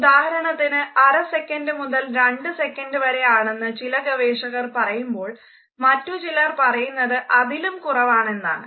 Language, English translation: Malayalam, For example, some say that it is between half a second to 2 seconds whereas, some critics think that it is even shorter than this